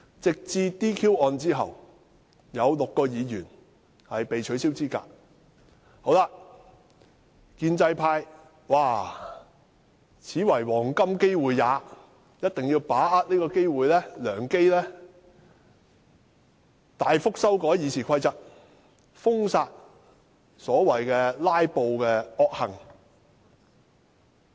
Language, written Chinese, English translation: Cantonese, 直至 "DQ" 案後，有6名議員被取消資格，建制派便認為這是黃金機會，必須把握良機大幅修訂《議事規則》，封殺所謂的"拉布"惡行。, Yet after the DQ case in which six Members were disqualified Members from the pro - establishment camp hold that it is the golden chance for them to make substantial amendments to RoP in order to ban the so - called evil filibustering . Mr Dennis KWOK has made a good point earlier